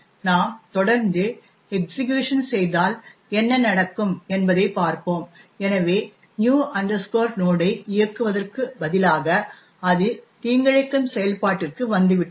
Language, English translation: Tamil, Let us see if we continue the execution what would happen, so right enough instead of executing new node it has indeed come into the malicious function